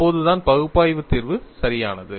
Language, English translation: Tamil, Only then the analytical solution is correct